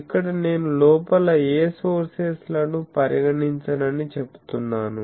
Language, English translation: Telugu, Here I say that inside I do not consider any sources